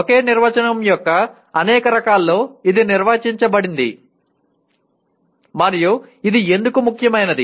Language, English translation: Telugu, This has been defined in several variants of the same definition and why is it important